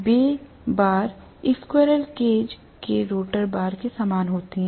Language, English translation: Hindi, Those bars are very similar to the rotor bar of the squirrel cage